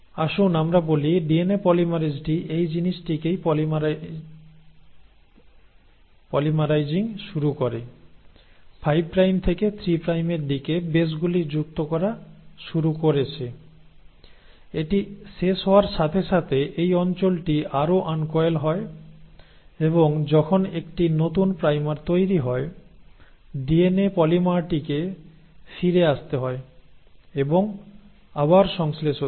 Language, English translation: Bengali, So let us say, the DNA polymerase started polymerising this thing, started adding the bases in the 5 prime to 3 prime direction, by the time it finished it, this region further uncoiled and when a new primer was formed, so the DNA polymer has to come back and jump and then synthesise again